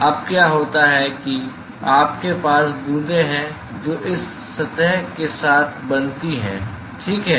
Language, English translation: Hindi, So, now, what happens is you have drops which are formed along this surface ok